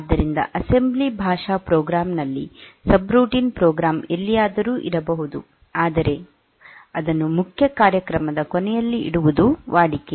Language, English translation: Kannada, So, in assembly language program is subroutine may be anywhere in the program, but it is customary to put at the end of the main program